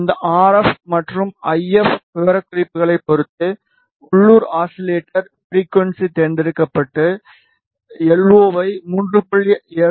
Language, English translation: Tamil, And depending on this RF and IF specifications the LO which is local oscillator frequency chosen is 3